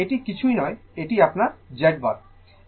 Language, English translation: Bengali, So, this is nothing, this is your Z bar right